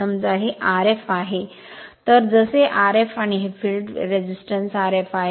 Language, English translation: Marathi, So, as say R f dash and this field resistance is R f right